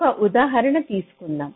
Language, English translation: Telugu, lets take an example